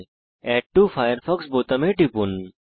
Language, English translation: Bengali, Click on the Add to Firefox button